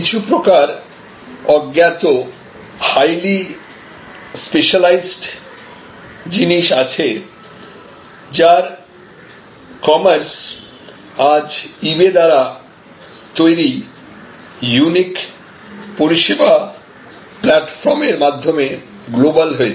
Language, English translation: Bengali, So, there are many types of obscure highly specialized items, today the commerce in those items have now become global, because of this unique service platform that has been created by eBay